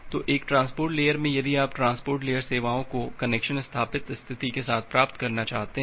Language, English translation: Hindi, So, in a transport layer if you want to get the transport layer services along with connection established state